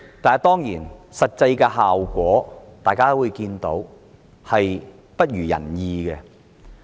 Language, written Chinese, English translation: Cantonese, 但當然，大家也看到實際效果未如人意。, But certainly we all see that the actual results are far from satisfactory